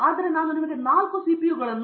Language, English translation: Kannada, But I can give you 4 CPU each with 2